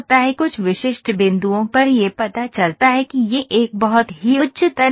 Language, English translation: Hindi, At some specific point it shows that it is a very high stress